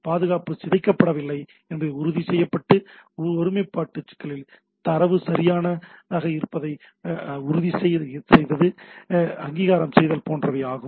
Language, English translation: Tamil, Like it ensures that the packet has not been tampered with, there is an integrity issue, ensures data is valid source, that is the authentication